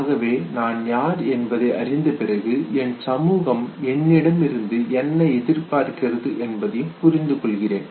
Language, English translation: Tamil, So that would mean that after acquiring the concept of the self, I also understand what my society expects out of me